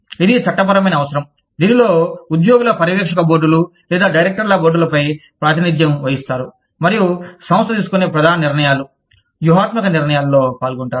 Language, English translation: Telugu, It is a legal requirement in which, employees are represented on supervisory boards, or boards of directors, and participate in major decisions, strategic decisions, taken by the organization